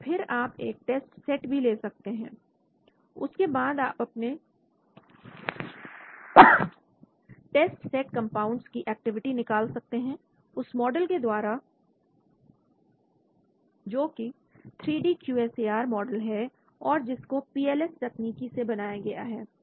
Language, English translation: Hindi, Then, you can have a test set and then you can try to predict the activity of the test set compounds with the model which has been 3D QSAR model which has been generated using the PLS technique